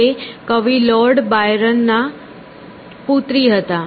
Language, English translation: Gujarati, She was a daughter of Lord Byron who was a poet